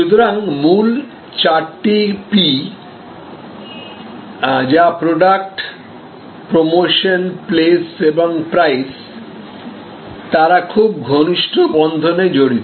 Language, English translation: Bengali, So, the original four P's which are Product, Promotion, Place and Price had a very tight coupling